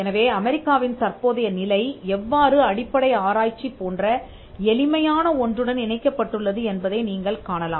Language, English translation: Tamil, So, you will see that this was how the current position of the United States was linked to something as simple as basic research